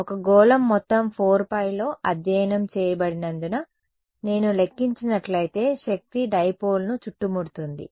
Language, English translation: Telugu, Because a sphere encompasses the entire 4 pi studied in, so, the power if I calculate because it encloses the dipole